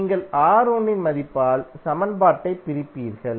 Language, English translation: Tamil, You will simply divide the equation by the value of R1